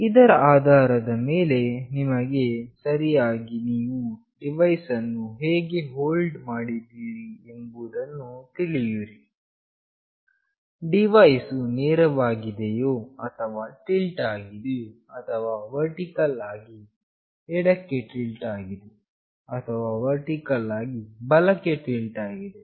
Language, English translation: Kannada, Depending on this you will be able to actually understand how you are holding the device, whether the device is straight or it is tilted, or it is vertically tilted to the left, or it is vertically tilted to the right